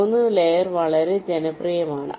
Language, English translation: Malayalam, 3 layer is quite popular